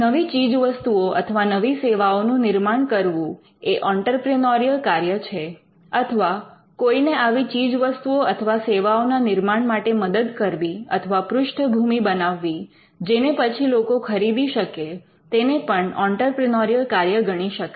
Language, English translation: Gujarati, Creation of new products and new services is an entrepreneurial activity or even helping or laying the ground for creation of new products and new services, which people would buy is again an entrepreneurial activity